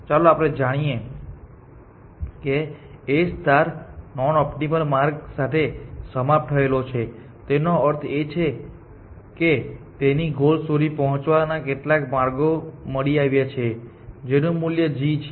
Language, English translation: Gujarati, Let A star terminate with a non optimal path, which means it is found some paths to the goal where the g value of that path